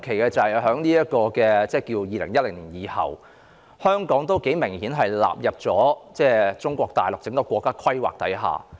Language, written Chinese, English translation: Cantonese, 特別要指出的是，在2010年後，香港明顯已被納入中國大陸整個國家規劃之下。, I have to point out in particular that after 2010 Hong Kong has obviously been incorporated into the overall national plan of Mainland China